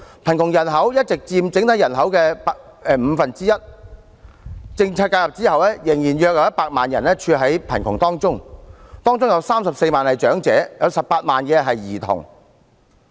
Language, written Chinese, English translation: Cantonese, 貧窮人口一直佔整體人口約五分之一，政策介入後仍有約100萬人屬貧窮人口，包括34萬名長者 ，18 萬名兒童。, There are still about 1 million people living in poverty after policy intervention among them 340 000 are elderly people and 180 000 children